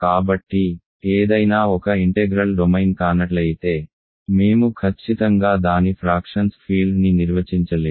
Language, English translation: Telugu, So, if something is not an integral domain certainly we cannot define its field of fractions ok